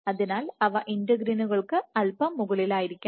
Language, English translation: Malayalam, So, you must have them slightly above the integrins